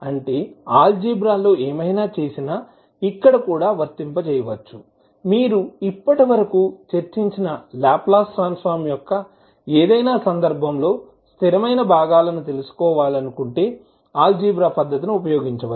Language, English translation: Telugu, That means that whatever did in Algebra, the same can be applied here also, if you want to find out the, the constant components in any case of the Laplace Transform, which we discussed till now